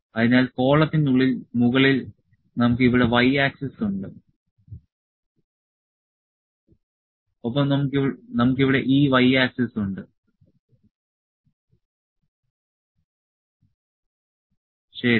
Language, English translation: Malayalam, So, they inside the column above we have for y axis here we have for y axis and also we have for x axis as well here, ok